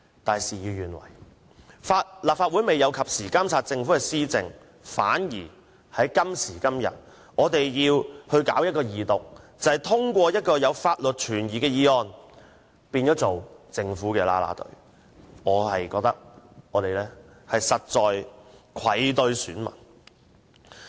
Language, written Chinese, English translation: Cantonese, 但是，事與願違，立法會未有及時監察政府的施政，今天反而要二讀一項存有法律疑點的《條例草案》，變成政府的"啦啦隊"，令我實在愧對選民。, Yet things did not turn out as one wished as the Legislative Council failed to monitor government administration in a timely manner . For this reason even though there are legal doubts the Bill will be read the Second time today turning us into the Governments cheering team . I have really failed my electors